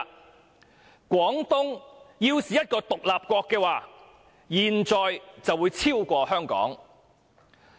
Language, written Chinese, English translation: Cantonese, "其後又說："廣東要是一個獨立國的話，現在會超過香港。, Then he added If Guangdong was an independent state it would have surpassed Hong Kong by now